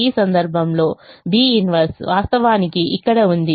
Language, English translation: Telugu, in this case, b inverse is actually here